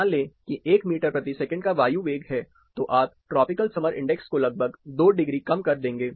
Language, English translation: Hindi, Say take an air velocity of one meter per second, you will reduce the tropical summer index almost by 2, 2 degrees